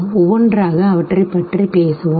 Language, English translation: Tamil, We will talk about them one by one